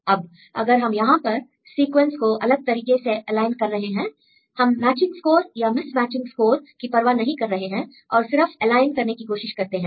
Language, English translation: Hindi, Now, if you align the sequence in a different way here we do not care about the matching or mismatching score just we try to align